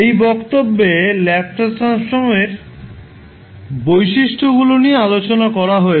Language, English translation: Bengali, In this session discussed about a various properties of the Laplace transform